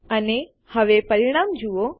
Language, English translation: Gujarati, And notice the results now